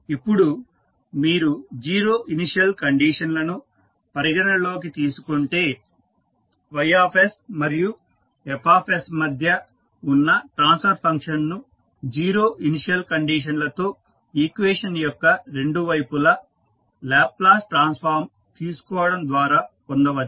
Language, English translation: Telugu, Now, if you consider the zero initial conditions the transfer function that is between y s and f s can be obtained by taking the Laplace transform on both sides of the equation with zero initial conditions